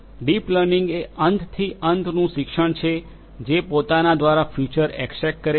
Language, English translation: Gujarati, Deep learning is an end to end learning which extracts features on its own